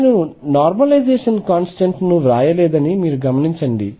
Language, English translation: Telugu, Notice that I have not written the normalization constant